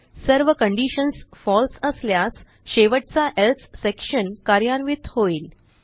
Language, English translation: Marathi, If all the conditions are false, it will execute the final Else section